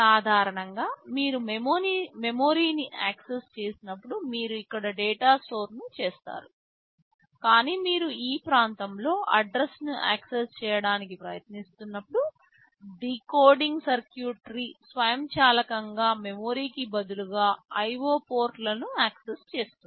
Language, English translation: Telugu, Normally when you access memory you store the data here, but when you are trying to access some address in this region there the were decoding circuitry which will automatically be accessing the IO ports instead of the memory